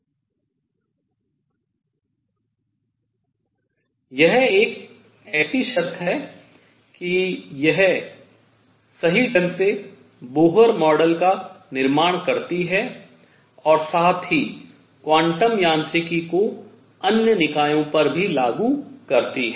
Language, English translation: Hindi, This condition is such that it correctly it produces Bohr model at the same time makes quantum mechanics applicable to other systems